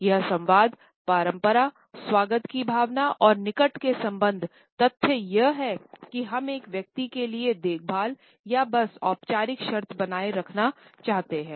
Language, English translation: Hindi, It also communicates tradition, a sense of welcome and can easily represent close bonding the fact that we care for a person or we simply want to maintain formal terms with the other person